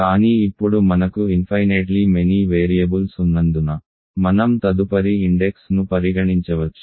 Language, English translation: Telugu, But now because we have infinitely many variables we can consider the next index